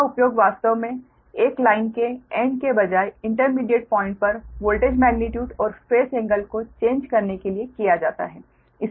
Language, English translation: Hindi, these are actually used to change the voltage, magnitude and phase angle right at an intermediate point in a line rather than at the ends right